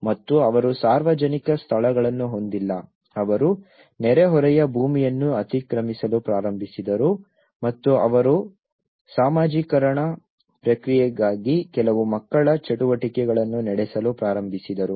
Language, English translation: Kannada, And they donÃt have public places lets they started encroaching the neighbourhood lands and they started conducting some children activities for socialization process